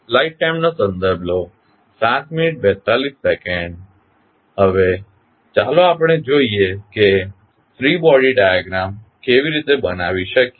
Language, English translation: Gujarati, Now, let us see how we can create the free body diagram